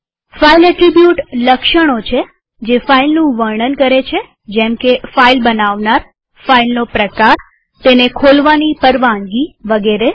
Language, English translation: Gujarati, File attribute is the characteristics that describe a file, such as owner, file type, access permissions, etc